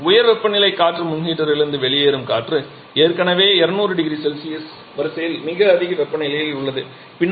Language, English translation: Tamil, And the air that is coming out of the high temperature air pre heater is already at a very high temperature in the order of 200 degree Celsius